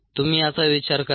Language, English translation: Marathi, you think about it